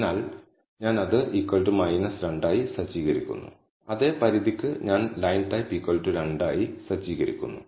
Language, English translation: Malayalam, So, I am setting that to be equal to minus 2 and for the same limit I am setting the line type to be equal to 2